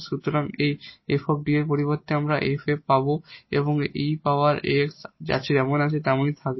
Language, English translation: Bengali, So, instead of this f D, we will get f a and this e power a x will remain as it is